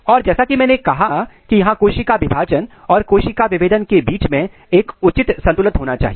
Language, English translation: Hindi, And as I said there has to be a proper balance between the cell division and cell differentiation